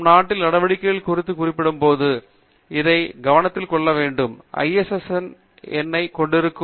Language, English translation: Tamil, We must pay attention to this when we are also referring to conference proceedings, which will usually have an ISSN number